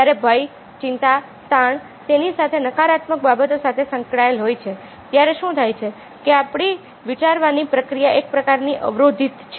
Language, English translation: Gujarati, when fear, excite, is stress are associated, when negative things are associated with that, then what happens is that our thinking process is kind of, ah, blocked